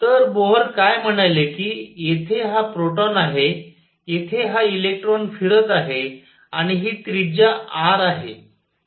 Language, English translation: Marathi, So, what Bohr said is here is this proton, here is this electron going around and this radius r